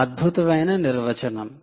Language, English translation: Telugu, amazing definition, perhaps